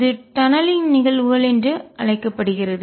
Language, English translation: Tamil, And this is known as the phenomena of tunneling